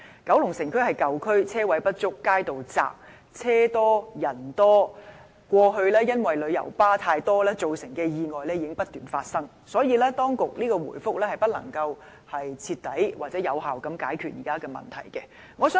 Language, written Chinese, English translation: Cantonese, 九龍城是舊區，車位不足，街道狹窄，車多人多，過去因旅遊巴過多而造成的意外已不斷發生，所以當局的答覆不能徹底或有效地解決現時的問題。, As Kowloon City is an old district where parking spaces are inadequate and streets are narrow packed with vehicles and people accidents have constantly happened due to an excessive number of coaches . As such the reply of the authorities cannot thoroughly or effectively resolve the existing problems